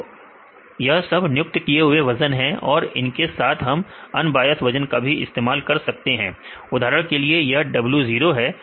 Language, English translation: Hindi, So, these are the assigned weights with along this assigned weights we can also use the unbiased weights like there for example, this is the w0